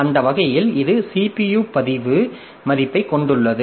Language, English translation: Tamil, So, that way it contains the CPU register value